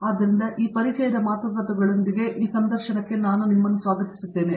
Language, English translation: Kannada, So, with these words of introductions, I welcome you to this interview